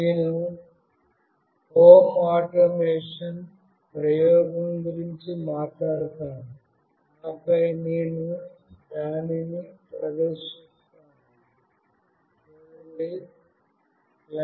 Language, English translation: Telugu, I will talk about the home automation, the experiment, and then I will demonstrate